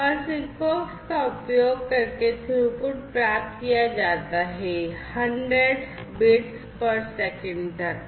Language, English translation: Hindi, And the throughput that is achieved using SIGFOX is up to 100 bps